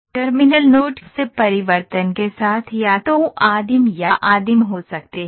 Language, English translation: Hindi, So, the terminal nodes can be either primitive or or a primitive with transformation